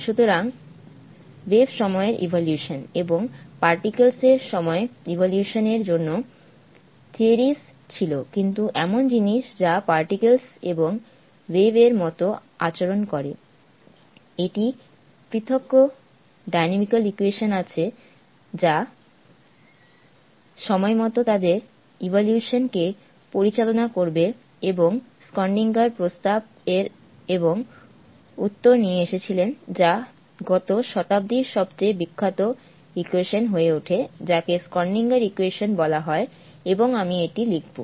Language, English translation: Bengali, So there were theory for the time evolution of waves and the time evolution the particles but things which behaves particle and wave like is there a separate dynamical equation that will govern there evolution in time, and Schrödinger came up with a proposal and an answer which became the most famous equation of the last century call the Schrödinger's equation